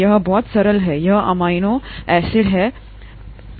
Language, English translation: Hindi, ItÕs very simple; this amino acid is very simple